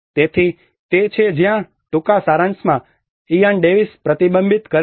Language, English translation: Gujarati, So that is where in short summary Ian Davis reflects